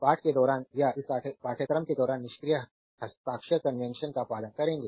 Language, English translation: Hindi, Throughout the text or throughout this course we will follow the passive sign convention